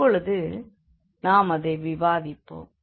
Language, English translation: Tamil, So, let us discuss now